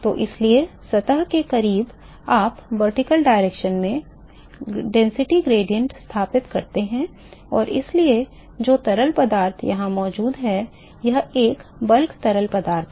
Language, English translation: Hindi, So, therefore, close to the surface you establish a density gradient in the vertical direction and so, the fluid which is present here so, this is a bulk fluid